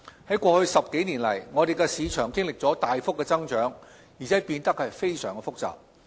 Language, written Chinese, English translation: Cantonese, 在過去10多年來，我們的市場經歷了大幅增長，而且變得非常複雜。, In the last 10 years or so our market has undergone impressive growth and become very complex